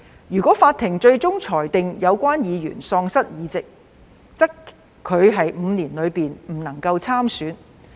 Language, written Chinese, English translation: Cantonese, 如法庭最終裁定有關議員喪失議席，則他在5年內不得參選。, If the Court ultimately rules that the member concerned has lost his seat the member shall be disqualified from standing for the elections held within five years